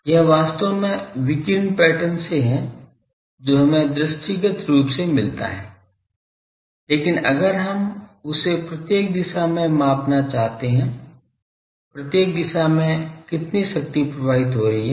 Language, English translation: Hindi, This is actually from the radiation pattern what we get visually , but if we want to quantify that at each direction , at each direction how much power is flowing